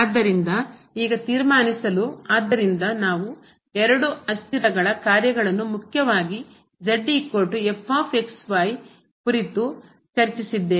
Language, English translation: Kannada, So, now to conclude, so we have discussed the functions of two variables mainly Z is equal to